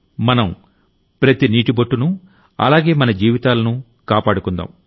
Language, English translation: Telugu, We will save water drop by drop and save every single life